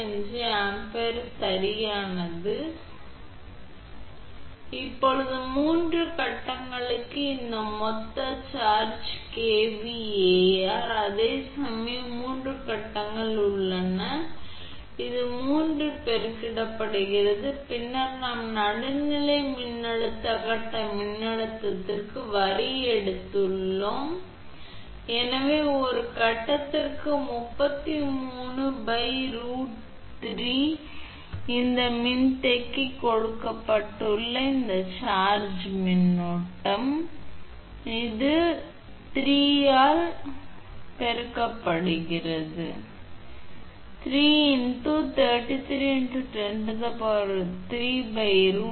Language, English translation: Tamil, 95 Ampere right, now this total charging kVAr for 3 phases whereas, 3 phases are there so this is 3 is multiplied then we have taken line to neutral voltage phase voltage, so 33 by root 3 per phase we are getting multiplied by 3 because this charging current also given this capacitor is part micro Farad per phase, so charging current also 8